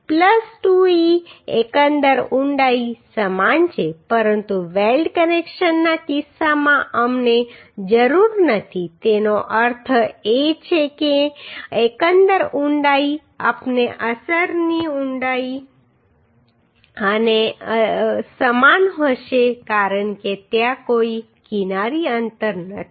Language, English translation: Gujarati, Plus 2e is equal to overall depth but in case of weld connections we do not need that means overall depth and effect depth will be same because there is no edge distance right